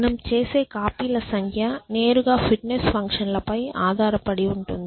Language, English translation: Telugu, And the number of copies you make are dependent directly upon the fitness functions